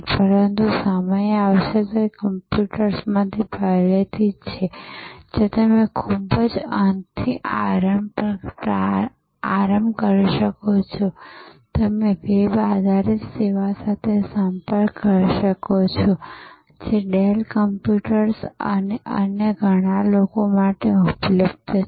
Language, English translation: Gujarati, But, time will come, it is already there in computers, where you can start at the very end, you can interact with a web based service, available for in Dell computers and many other today